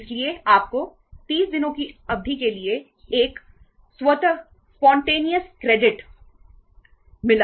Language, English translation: Hindi, So you got a automatic spontaneous credit for a period of 30 days